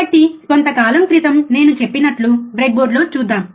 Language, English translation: Telugu, So, let us see on the breadboard like I said little bit while ago